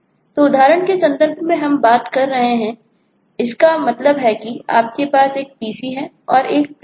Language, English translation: Hindi, so in the context of the example we were talking of, that means that you have a pc and you have a printer